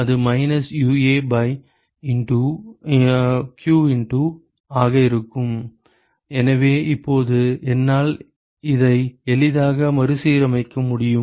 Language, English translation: Tamil, So, that will be minus UA by q into, so now, I can easily rearrange this